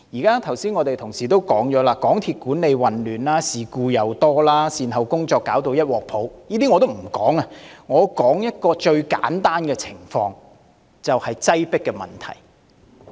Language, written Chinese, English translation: Cantonese, 剛才已有同事提到，港鐵公司管理混亂，事故頻生，善後工作一團糟，這些我也不說，只說一個最簡單的情況，就是擠迫問題。, Passing over such issues as MTRCLs chaotic management frequent occurrence of incidents and messy follow - ups mentioned by some Members just now I wish only to talk about a most simple state of affairs the overcrowding problem